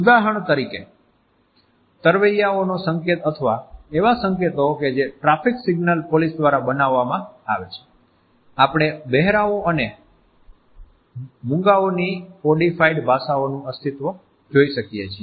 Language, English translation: Gujarati, For example, the codes of underwater swimmers or the signals which are made by a traffic signal police man, then, languages of the deaf and the dumb we find that there exist codified languages